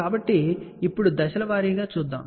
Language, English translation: Telugu, So, now, let us go step by step